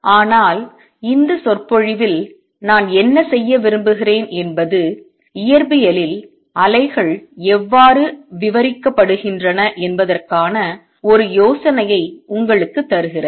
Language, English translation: Tamil, But what I want to do in this lecture is give you an idea as to how waves are described in physics